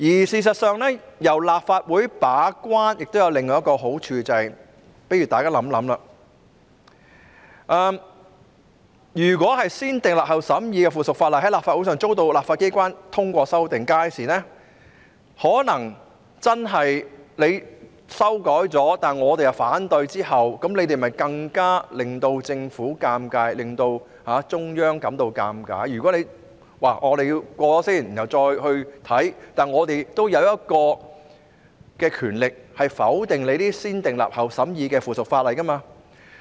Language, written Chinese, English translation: Cantonese, 事實上，由立法會把關亦有另一個好處，大家試想想，如果經"先訂立後審議"的程序訂立的附屬法例在立法會上遭到反對，即使已經作出修改，但我們卻表示反對，屆時便會令政府尷尬，亦會令中央感到尷尬，因為即使先訂立後才審議，我們仍有權力否決這些"先訂立後審議"的附屬法例。, In fact there is another advantage for the Legislative Council to take up the gate - keeping role . Think about this If the subsidiary legislation enacted through the negative vetting procedure would meet opposition in the Legislative Council or in other words even if the amendments are made and if we oppose them it would then be embarrassing for the Government and it would be embarrassing for the Central Authorities too . It is because even if the negative vetting procedure are adopted we still have the power to veto the subsidiary legislation enacted through the negative vetting procedure